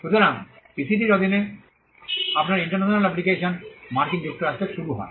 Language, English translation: Bengali, So, your international application under the PCT begins in the United States